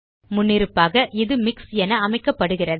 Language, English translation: Tamil, By default, it is set as MIX